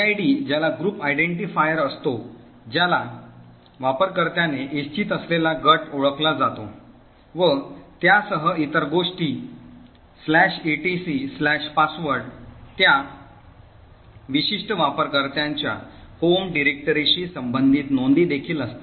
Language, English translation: Marathi, gid which is a group identifier which identifies the group in which the user wants to and it also along with other things the /etc/password also has entries corresponding to the home directory of that particular user and so on